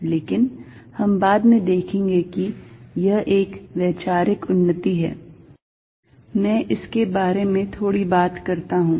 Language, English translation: Hindi, But, we will see later that this is a conceptual advance, let me just talk a bit about it